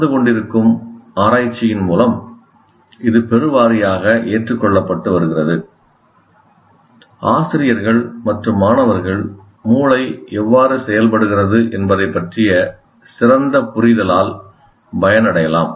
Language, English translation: Tamil, Now it is increasingly getting accepted through the research that is going on that teachers and therefore students also can benefit from better understanding how the brain works